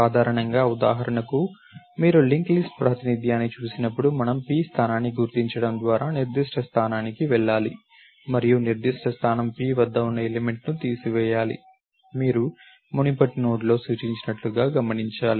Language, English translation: Telugu, Normally for example, when you look at link list representation, we have to go to a particular position by to locate the position p and to remove the element at a particular position p, you have to note that pointed in the previous node